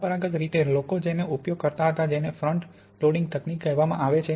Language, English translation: Gujarati, Traditionally people used what is called a front loading technique